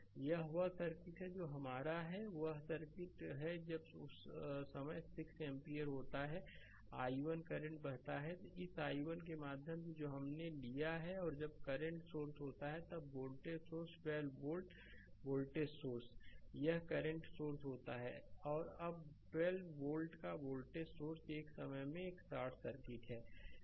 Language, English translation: Hindi, This is the circuit that is your this is the circuit when 6 ampere at that time current is i 1, current is flowing through this i 1 we have taken right and when current source is there, then voltage source this 12 volt voltage source this current source is there now and 12 volt voltage source is short circuit one at a time